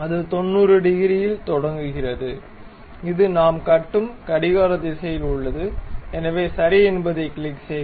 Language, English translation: Tamil, And it begins at 90 degrees, and it is a clockwise uh thread we were constructing, so click ok